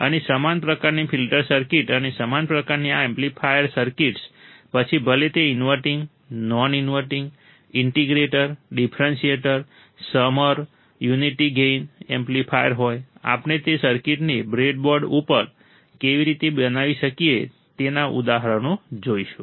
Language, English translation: Gujarati, And similar kind of filter circuits and similar kind of this amplifier circuits, whether it is a inverting, non inverting, integrator, differentiator, summer right, unity gain amplifier, we will see the examples how we can implement those circuits on the breadboard